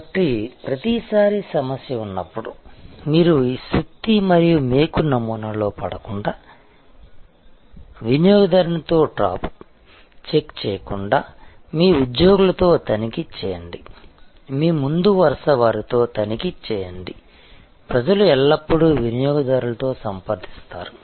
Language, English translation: Telugu, So, every time there is a problem, so that you do not fall into this hammer and nail paradigm or trap check with the customer, check with your employees, check with your front line, the people always in contact with the customers